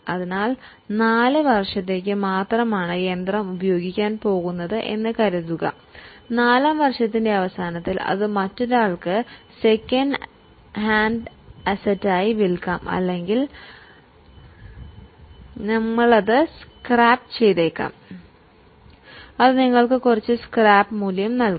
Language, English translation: Malayalam, So, suppose we are going to use the machine only for four years, at the end of fourth year, we may sell it as a second hand asset to someone else or we may scrap it and it will give you some scrap value